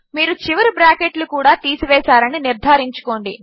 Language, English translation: Telugu, Make sure you remove the end brackets